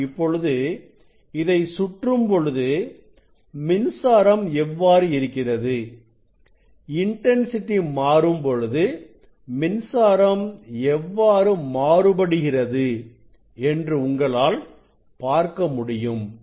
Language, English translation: Tamil, now, you can look at this when I rotate it you can look at this current how intensity is varying means current is varying